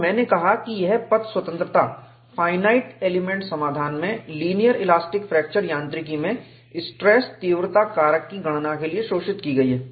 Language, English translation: Hindi, We have seen its path independence and I said, this path independence is exploited in linear elastic fracture mechanics to calculate stress intensity factor, from finite element solution